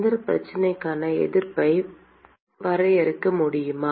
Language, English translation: Tamil, Can we define resistance for this problem